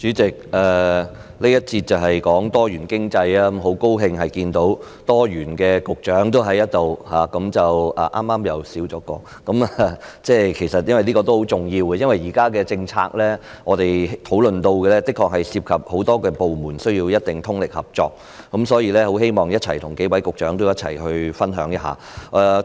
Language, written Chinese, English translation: Cantonese, 主席，這環節是討論多元經濟，很高興在這裏看到"多元"的局長——剛剛又少了一位——這也是很重要的，因為現在我們討論的政策的確涉及很多部門，需要大家通力合作。所以，我希望跟數位局長分享一下我的看法。, President in this session we will discuss diversified economy . I am glad to see in this Chamber diversified Directors of Bureaux―one of them left just now―and this is important because the policies under discussion do involve a diversity of departments and require their full cooperation and I therefore hope to share my views with several Directors of Bureaux